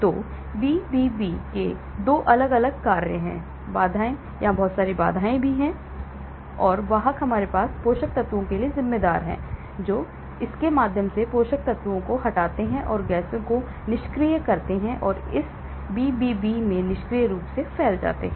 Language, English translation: Hindi, So, 2 different functions of the BBB, the barriers; a lot of barriers here and the carrier we have carriers responsible for the nutrients through it and removal of metabolites and the gases passively diffuse into this BBB